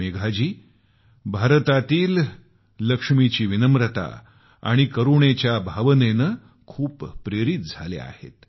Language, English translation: Marathi, Megha Ji is truly inspired by the humility and compassion of this Lakshmi of India